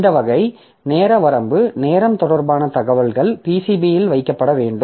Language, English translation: Tamil, So, this type of time related time related information so they should be kept into the PCB